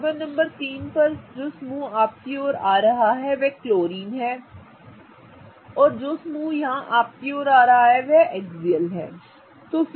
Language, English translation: Hindi, On carbon number 3 now the group that is coming towards you is chlorine and the group that is coming towards you here is the axial group right